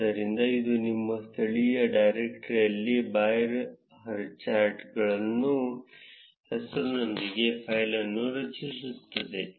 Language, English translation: Kannada, So, this would have created a file with a name of bar highcharts in your local directory